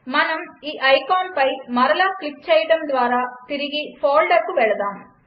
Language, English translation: Telugu, Let us go back to the folder by clicking this icon again